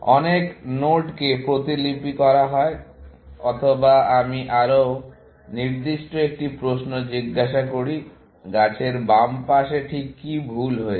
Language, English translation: Bengali, Many nodes are replicated, or let me ask a more specific question; what is wrong in the left side of the tree